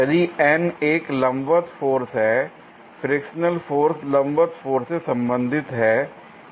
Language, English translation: Hindi, If N is the normal force, the frictional force is related to normal force, is it not